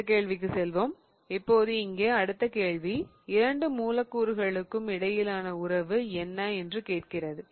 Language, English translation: Tamil, Now, the next problem here is asking you about what is the relationship between the two molecules